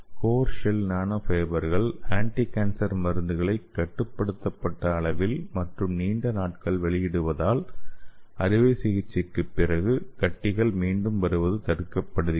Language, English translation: Tamil, And this core shell nanofibers provide a controlled and sustained release of anticancer drug for preventing local tumor recurrence after surgery